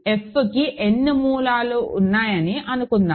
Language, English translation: Telugu, So, suppose f has n roots right